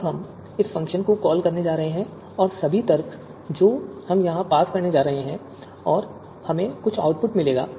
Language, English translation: Hindi, Now we are going to call this function and all the arguments we are going to pass on here and we will get the output